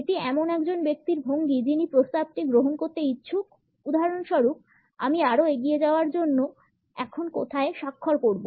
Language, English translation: Bengali, This is the posture of a person who is willing to accept the proposal for example, where do I signed now to move on further